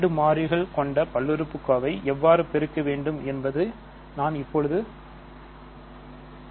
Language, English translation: Tamil, So, this is just to give you an idea of how to multiply and add 2 multivariable polynomials